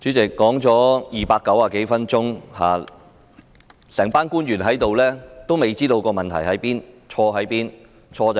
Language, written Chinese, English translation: Cantonese, 主席，說了290多分鐘，會議廳內全部官員仍未知道問題何在、錯在哪裏。, President despite us having spoken for some 290 minutes all the officials in the Chamber still have no idea where the problem lies and what the fault is